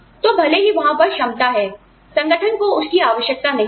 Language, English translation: Hindi, So, even though, the ability is there, the organization does not need it